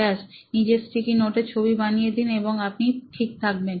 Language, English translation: Bengali, Just make them in your sticky note and you should be fine